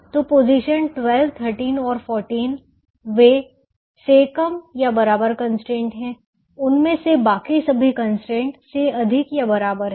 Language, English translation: Hindi, so position twelve, thirteen and fourteen: they are the less than or equal to constraints